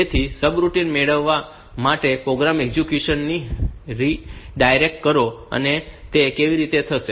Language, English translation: Gujarati, So, redirect the program execution to get subroutine and how will it happen